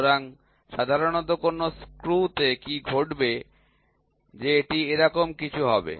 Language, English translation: Bengali, So, what will happen generally in a screw that it will be something like this